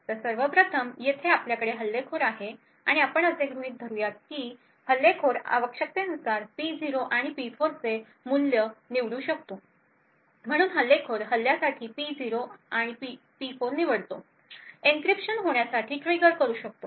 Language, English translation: Marathi, So, first of all we have the attacker over here and we will assume that the attacker is able to choose the values of P0 and P4 as required, so the attacker chooses P0, P4 for attack, triggers an encryption to occur